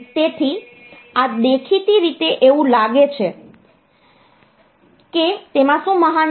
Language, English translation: Gujarati, So, this apparently it seems what is great in it